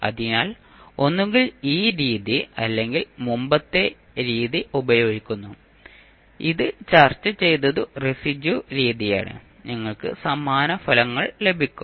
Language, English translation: Malayalam, So, either you use this method or the previous method, which we discussed that is the residue method, you will get the same results